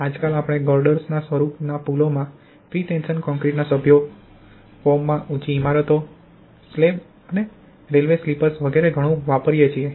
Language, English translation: Gujarati, Nowadays we use lot of pretension concrete members in bridges in the form of girders, high rise buildings in the form of slabs and railway sleepers etc